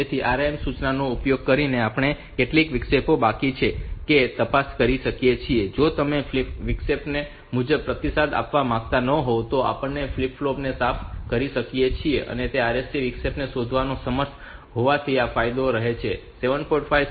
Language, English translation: Gujarati, So, using the RIM instruction we can check whether any interrupts are pending and if you do not want to respond to those interrupt accordingly we can clear those flip flop, so this is the advantage of being able to find out the interrupt of RST say; 7